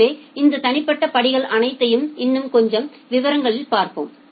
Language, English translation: Tamil, So, we will now look into all these individual steps in little more details